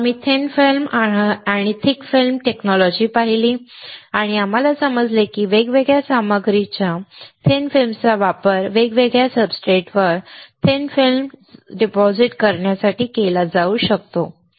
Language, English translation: Marathi, Then we saw thin film technology and thick film technology and we understood that thin films of different materials, can be used to deposit thin film on the different substrate